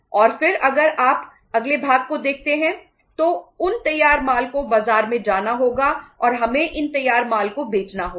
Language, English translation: Hindi, And then if you look at the next part then those finished goods have to go to the market and we have to sell these finished goods